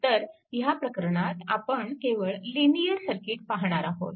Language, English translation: Marathi, So, in the circuit is linear circuit right